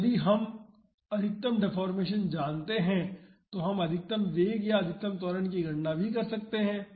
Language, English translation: Hindi, So, if we know the maximum deformation we can also calculate the maximum velocity or even maximum acceleration